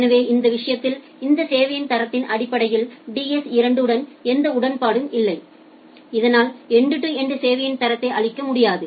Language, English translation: Tamil, So, it does not have any agreement with DS 2 in terms of this quality of service in that case, it will not be able to provide that end to end quality of service